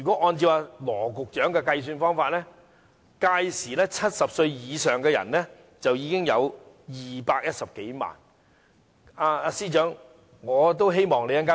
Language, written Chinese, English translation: Cantonese, 按照羅局長的說法 ，2066 年70歲以上的長者有210多萬人。, According to Secretary Dr LAW Chi - kwong there will be some 2.1 million elders aged 70 or above by 2066